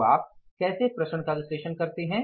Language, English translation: Hindi, So, how do you analyze the variances